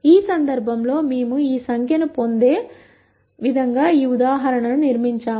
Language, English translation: Telugu, In this case, we have constructed this example in such a way that we get this number